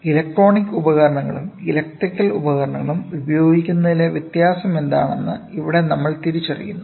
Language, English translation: Malayalam, So, here we are even distinguishing what is the difference of using the electronic devices and the electrical devices